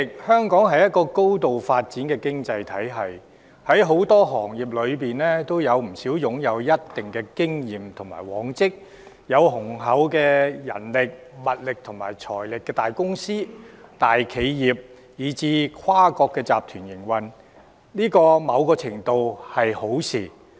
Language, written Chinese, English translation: Cantonese, 香港是一個高度發展的經濟體系，在很多行業中，有不少擁有一定經驗和往績、有雄厚人力、物力和財力的大公司、大企業，以至跨國集團，在某程度上是一件好事。, Hong Kong is a highly developed economy . In many industries there are quite a number of large corporations large enterprises and even multinational groups having solid experience and proven track records as well as substantial manpower resources and funds . In a sense this is something desirable